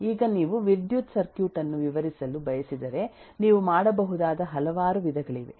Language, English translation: Kannada, Now if you want to describe the electrical circuit, you can do it in several different ways